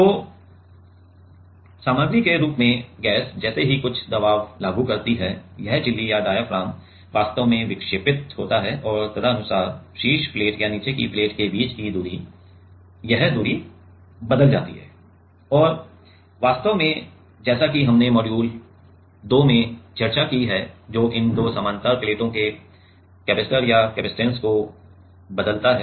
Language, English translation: Hindi, So, as the material as the gas applies some pressure this membrane or diaphragm actually deflects and, accordingly the distance between this like the top plate and bottom plate this distance changes and that actually as we have discussed in module 2; that changes the capacitance or the capacitor of these two parallel plates, right